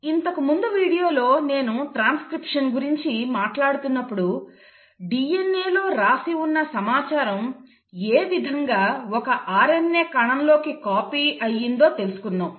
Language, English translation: Telugu, Now in the last video when I was talking about transcription we saw how the information which was written in DNA was copied onto an RNA molecule